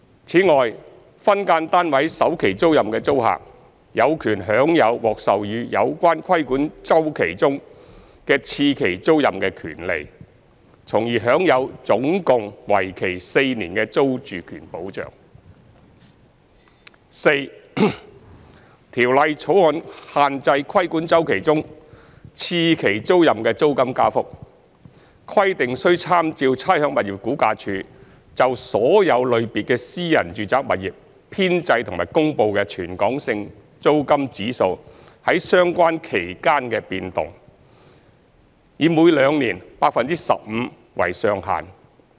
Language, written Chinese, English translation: Cantonese, 此外，分間單位首期租賃的租客，有權享有獲授予有關規管周期中的次期租賃的權利，從而享有總共為期4年的租住權保障；四《條例草案》限制規管周期中次期租賃的租金加幅，規定須參照差餉物業估價署就所有類別的私人住宅物業編製及公布的全港性租金指數在相關期間的變動，以每兩年 15% 為上限。, Besides the tenant of a first term tenancy for an SDU is entitled to a second term tenancy of the regulated cycle for the SDU thus enjoying a total of four years of security of tenure; 4 The Bill restricts the level of rent increase for the second term tenancy of a regulated cycle with reference to the movement of the rental index in respect of all private domestic properties compiled and published by the Rating and Valuation Department RVD in the relevant period and subject to a cap of 15 % every two years